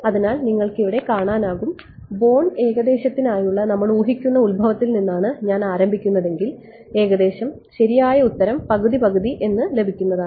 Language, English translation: Malayalam, So, you notice over here if I start from the origin which was our guess for born approximation I fall into approximately the correct answer half half right